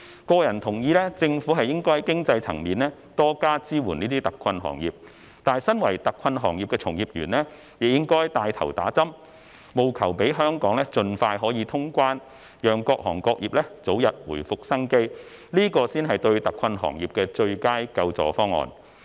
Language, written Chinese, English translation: Cantonese, 個人同意政府應該在經濟層面多加支援這些特困行業，但身為特困行業的從業員，亦應該帶頭接種疫苗，務求讓香港可以盡快通關，讓各行各業早日回復生機，這才是對特困行業的最佳救助方案。, I personally agree that the Government should provide more financial support for these hard - hit industries but practitioners of the hard - hit industries should take the lead in getting vaccinated so that cross - border travel can be resumed as soon as possible and various industries can regain vitality expeditiously . This is actually the best relief for the hard - hit industries